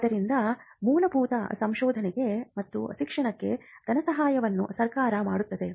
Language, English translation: Kannada, So, the funding fundamental research and education is something that is done by the government